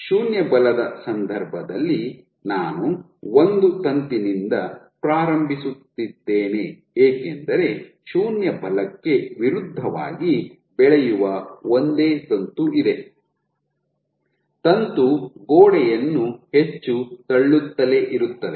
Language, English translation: Kannada, If my force for 0, I am starting from one filament and because there is a single filament which can grow against 0 force the filament will keep on pushing the wall more and more